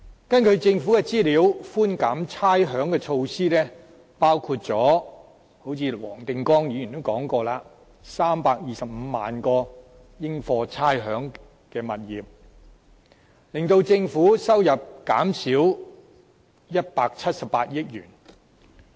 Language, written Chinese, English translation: Cantonese, 根據政府的資料，寬減差餉的措施——正如黃定光議員也提到——涵蓋325萬個應課差餉的物業，令政府收入減少178億元。, According to government information and as mentioned by Mr WONG Ting - kwong the rates concession measures will cover about 3.25 million rateable properties and reduce government revenue by 17.8 billion